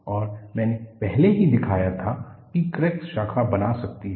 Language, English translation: Hindi, And, I already shown that, crack can branch